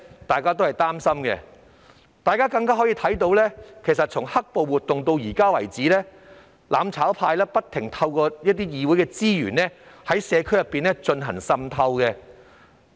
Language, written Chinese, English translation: Cantonese, 大家也可以看到，由"黑暴"活動爆發至現時為止，"攬炒派"不停利用議會資源，在社區內進行滲透。, As we may also see since the outbreak of black - clad violence the mutual destruction camp has been using DC resources to carry out infiltration in the community